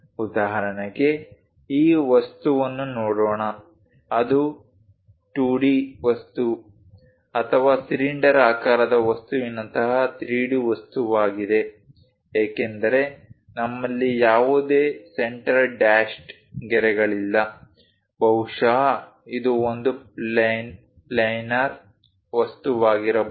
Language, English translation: Kannada, For example, let us look at this object is it a 2d object or 3d object like cylindrical object because we do not have any center dashed lines, possibly it must be a planar object this is the one